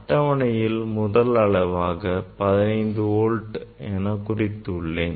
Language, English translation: Tamil, I have to note down the voltage is 15 volt